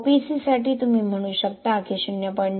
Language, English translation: Marathi, For OPC you can say 0